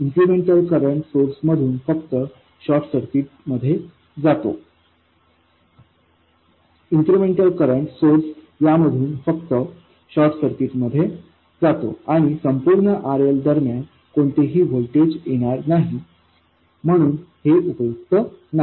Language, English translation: Marathi, So, the incremental current source from this simply goes into the short circuit and there will be no voltage at all across RL, so this is not useful